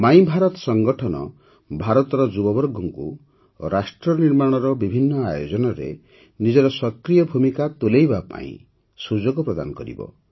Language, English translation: Odia, My Bharat Organization will provide an opportunity to the youth of India to play an active role in various nation building events